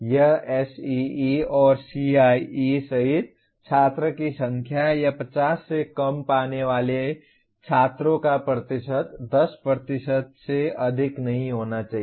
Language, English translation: Hindi, That is including SEE and CIE the number of student or the percentage of students getting less than 50 should not be exceeding 10%